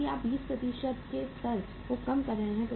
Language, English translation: Hindi, Because you are reducing the level of 20%